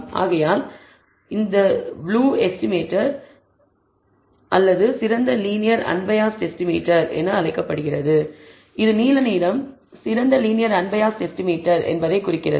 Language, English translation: Tamil, Therefore, it is called a blue estimator or a unbiased estimator with the best linear unbiased estimator that is what it blue represents, best in the sense of having the least variance